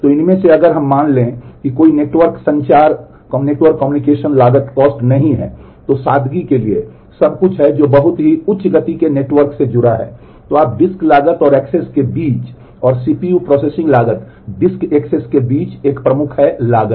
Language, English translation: Hindi, So, out of these if we assume that there is no network communication cost just for simplicity that is everything is connected to a very you know high speed network then between the disk cost and the accesses and the CPU processing cost the disk access is a predominant cost